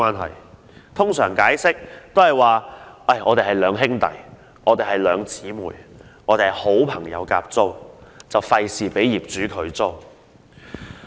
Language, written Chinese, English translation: Cantonese, 他們通常會解釋是兩兄弟、兩姊妹或好朋友合租，以免被業主拒租。, They will usually say they are brothers or sisters or friends wanting to share a place lest the landlords may refuse to rent the places to them